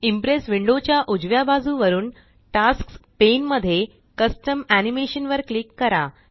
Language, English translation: Marathi, From the right side of the Impress window, in the Tasks pane, click on Custom Animation